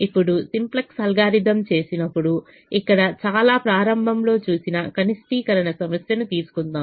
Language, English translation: Telugu, now let us take the minimization problem that we saw very early here when we did the simplex algorithm